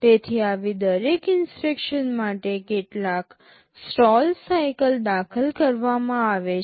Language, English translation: Gujarati, So, for every such instruction there will be some stall cycle inserted